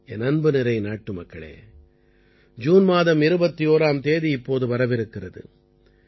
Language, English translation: Tamil, My dear countrymen, 21st June is also round the corner